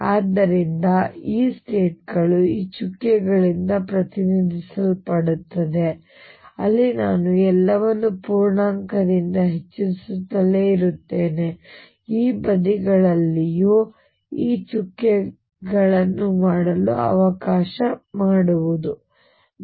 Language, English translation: Kannada, So, these states are represented by these dots where I just keep increasing everything by an integer let me make this dots on this sides also